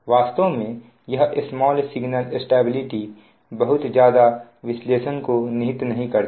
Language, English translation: Hindi, actually, this small signal stability it involves huge analysis will not study this one